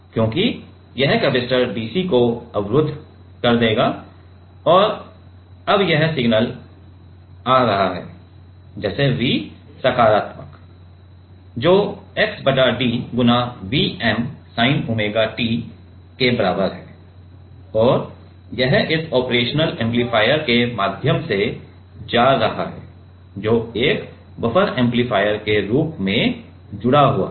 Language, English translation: Hindi, So, this is capacitor blocks the dc and now this signal is coming as like the V positive is the is by d V m sin omega t; and this is going through this operational amplifier which is connected as a buffer amplifier